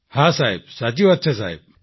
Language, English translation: Gujarati, Yes sir, it is right sir